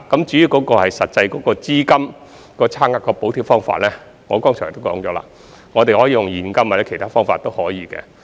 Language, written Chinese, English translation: Cantonese, 至於"資金差額"的補貼方法，正如我剛才所說，我們可以用現金或其他方法。, As for the method of bridging the funding gap as I have just said we can use cash or other methods